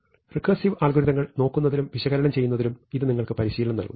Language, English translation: Malayalam, Once again this is just give you practice in looking at recursively algorithms and writing down the analysis